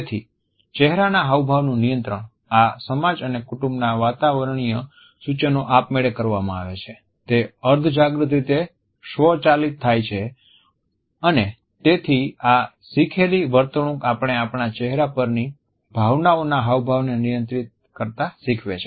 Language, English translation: Gujarati, So, the control of the facial expression, these conventions and family atmospheres dictate is done automatically is imbibed in a subconscious manner without being aware of them and therefore, these learnt behaviors allow us to control the expression of our emotions on our face